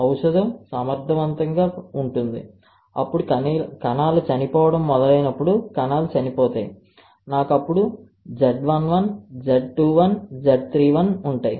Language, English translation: Telugu, The drug is efficient then the cells would start dying when cells are dying I will have Z 11, Z 21, Z 31